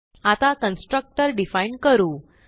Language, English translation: Marathi, So let us define the constructor